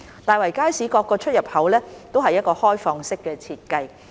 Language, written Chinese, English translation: Cantonese, 大圍街市各出入口為開放式設計。, The design of the entrances of the Market is an open - style one